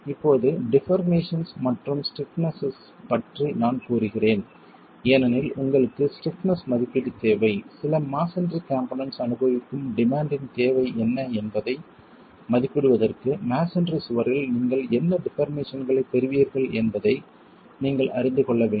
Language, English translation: Tamil, Now deformations and stiffnesses I would say because you need an estimate of stiffness, you need to know what deformations you will get in a masonry wall to be able to estimate what is the demand that certain masonry component is going to experience